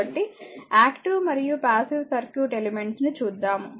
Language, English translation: Telugu, So, active and passive circuit elements